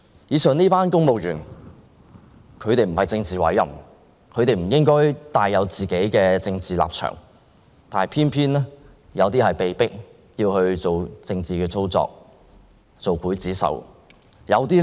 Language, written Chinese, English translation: Cantonese, 以上這些公務員都不是政治委任的官員，他們不應有自己的政治立場，但他們有些人卻偏偏被迫作出政治操作，做劊子手。, Being non - politically appointed officials the civil servants mentioned above should not take sides in politics but then some of them have been forced to perform political manoeuvres and to be the executioners